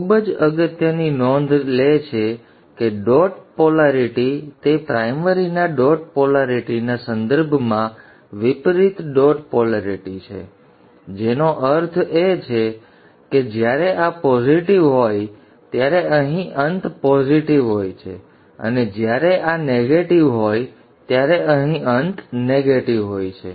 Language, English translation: Gujarati, Very important note the dot polarity it is an opposite dot polarity with respect to the primaries dot polarity which means that even this is positive the end here is positive and when this is negative the end here is negative